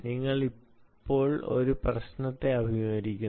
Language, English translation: Malayalam, so, ah, you are now confronted with a problem